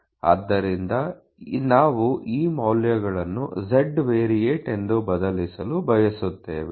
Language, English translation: Kannada, So, we want to substitute these values in the z variate